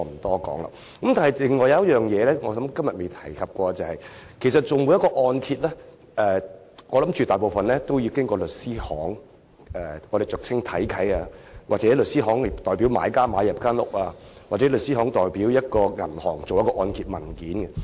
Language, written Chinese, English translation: Cantonese, 不過，還有一個問題是今天未有觸及的，便是銀行按揭大多數要經由律師行處理，俗稱"睇契"，或由律師行代表買家購買物業，又或是由律師行代表銀行處理按揭文件。, Yet there is still one thing that we have yet to touch on today and that is the fact that most of the mortgage loans from banks have to be applied through law firms a practice commonly known as checking title deeds . In some cases law firms may purchase the properties on behalf of the buyers or handle the mortgage documents on behalf of the banks